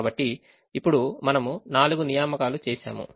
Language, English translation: Telugu, so now we have made four assignments